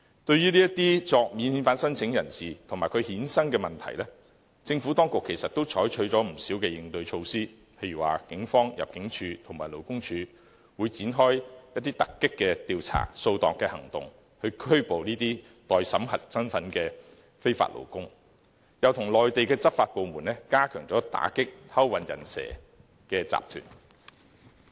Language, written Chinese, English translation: Cantonese, 對於這些免遣返聲請人士及其衍生的問題，政府當局其實採取了不少應對措施，例如警方、入境處及勞工處會展開突擊調查、掃蕩行動，拘捕這些待審核身份的非法勞工，又跟內地執法部門聯手加強打擊偷運"人蛇"集團。, Regarding the non - refoulement claimants and the problems they created the Administration has actually launched quite a few corresponding measures . For instance the Police Force Immigration Department and Labour Department have launched surprise inspections and enforcement operations to arrest illegal workers whose refugee status are pending confirmation . They have also joined force with Mainland enforcement departments to crack down on human - smuggling syndicates